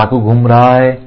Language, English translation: Hindi, So, the knife is moving